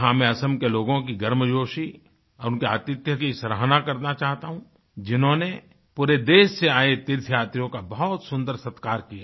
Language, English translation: Hindi, Here I would like to appreciate the warmth and hospitality of the people of Assam, who acted as wonderful hosts for pilgrims from all over the country